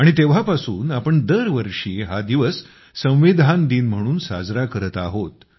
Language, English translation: Marathi, And since then, every year, we have been celebrating this day as Constitution Day